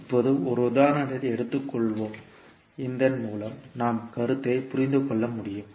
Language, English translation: Tamil, Now let us take one example so that we can understand the concept